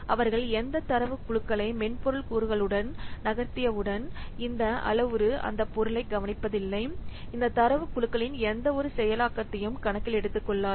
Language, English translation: Tamil, So once they what data groups they have been moved into the software component, this metric does not take care of this, this metric does not take into account any processing of these data groups